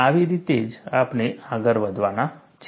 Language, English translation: Gujarati, That is the way, that we are going to proceed